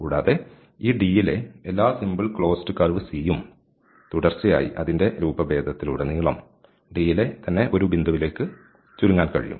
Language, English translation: Malayalam, And every simple closed curve in C, every simple closed curve C in this D can be continuously shrunk to a point while remaining in D